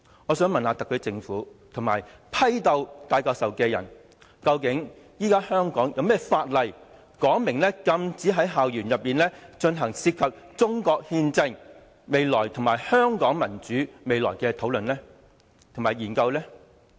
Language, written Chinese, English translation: Cantonese, 我想問特區政府和批鬥戴教授的人，究竟現時香港有何法例，明文禁止在校園內進行涉及中國憲政和香港民主未來的討論和研究？, I would like to ask the SAR Government and the people purging Prof TAI exactly which existing law in Hong Kong expressly bans the discussion and study on the constitutional system of China and the future of democracy in Hong Kong on school campuses?